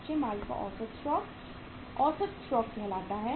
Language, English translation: Hindi, Average stock of raw material is say average stock